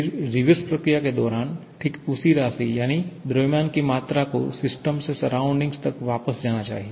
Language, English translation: Hindi, Then, during the reverse process, exactly the same amount that is del m amount of mass must move back from the system to the surrounding